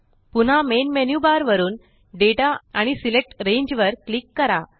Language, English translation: Marathi, Again, from the Menu bar, click Data and Select Range